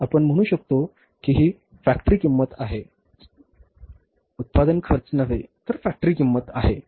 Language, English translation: Marathi, You can say it is the factory cost, not the cost of production, but the factory cost